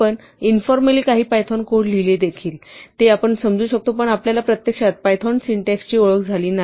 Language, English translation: Marathi, We also saw informally some python code, which we could understand but we have not actually been introduced to formal python syntax